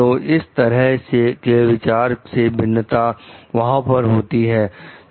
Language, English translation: Hindi, So, these differences of opinion will be there